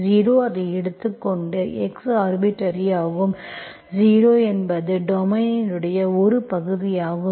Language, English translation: Tamil, 0, I take it as, x is arbitrary, 0 is part of the domain